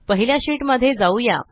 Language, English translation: Marathi, Lets go back to the first sheet